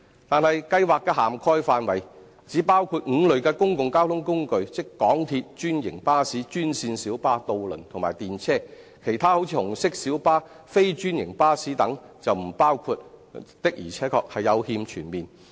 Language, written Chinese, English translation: Cantonese, 但是，補貼計劃的涵蓋範圍只包括5類公共交通工具，即港鐵、專營巴士、專線小巴、渡輪及電車，其他如紅色小巴、非專營巴士等則沒有包括，的確是有欠全面。, The Subsidy Scheme however only covers five categories of public transportation namely MTR franchised buses green minibuses ferries and trams while other categories like red minibuses and non - franchised buses are not covered . We think that this is not comprehensive enough indeed